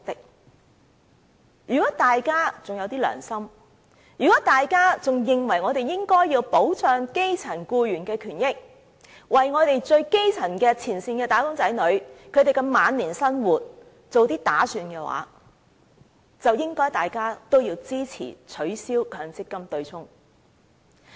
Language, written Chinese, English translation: Cantonese, 所以，如果大家還有一點良心，認為我們應該保障基層僱員的權益，為基層前線"打工仔女"的晚年生活做些打算，大家便應該支持取消強積金對沖。, For that reason if Members still have a tiny bit of conscience and consider that we should protect the rights and interests of grass - root workers so that frontline grass - root wage earners can prepare for their old age Members should support the abolition of the offsetting arrangement for MPF contributions